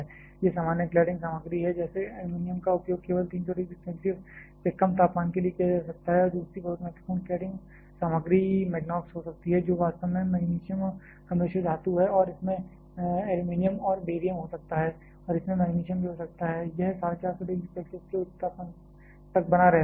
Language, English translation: Hindi, These are the common cladding materials like aluminum can be used only for temperatures less than 300 degree Celsius and the second very important cladding material can be Magnox which is actually alloy of magnesium and it can have aluminum and barium and along with magnesium in it and it can sustain up to a higher temperature of 450 degree Celsius